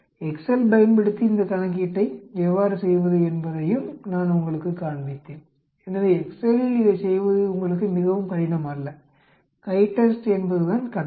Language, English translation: Tamil, I also showed you how to do this calculation using excel also, so it is not very difficult for you to do it on excel, the command is CHITEST